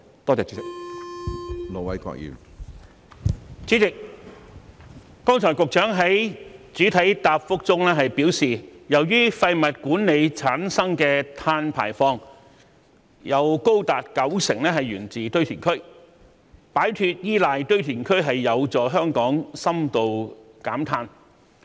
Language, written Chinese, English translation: Cantonese, 主席，局長剛才在主體答覆中表示，由於廢物管理產生的碳排放有高達九成源自堆填區，擺脫依賴堆填區有助香港深度減碳。, President the Secretary said in his main reply earlier that as up to 90 % of the carbon emissions generated from waste management came from landfills moving away from reliance on landfills could help Hong Kong achieve deep decarbonization